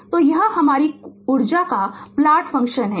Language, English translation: Hindi, So, this is your energy plot function plot